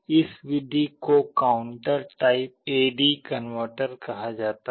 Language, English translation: Hindi, This method is called counter type A/D converter